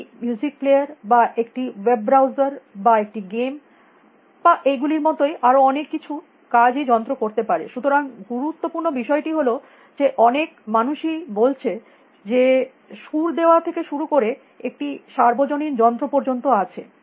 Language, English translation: Bengali, As a music player or a web browser or a game or any of these many things that a machine can do; so the important thing is that many people have called starting with tuning is there is a universal machine